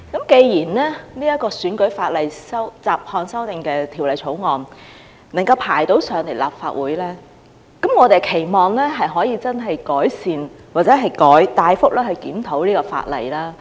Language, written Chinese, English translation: Cantonese, 既然《2019年選舉法例條例草案》能夠提交立法會，我們期望可以改善或大幅檢討這項法例。, Now that the Electoral Legislation Bill 2019 the Bill has been introduced into the Legislative Council we hope that the legislation can be improved or substantially reviewed